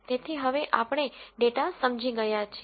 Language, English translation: Gujarati, So, since we have understood the data now